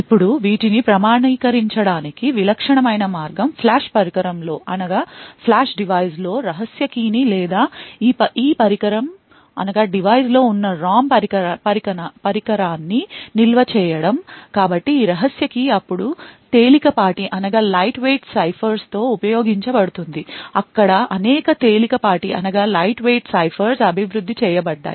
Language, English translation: Telugu, Now the typical way to actually authenticate these is to store a secret key in Flash device or a ROM device present in this device, So, this secret key would then be used to with lightweight ciphers, there are several lightweight ciphers which have been developed